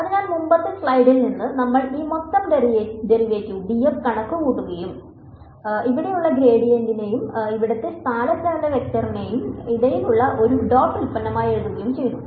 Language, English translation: Malayalam, So, from the previous slide we have calculated this total derivative d f and wrote it as a dot product between the gradient over here and the displacement vector over here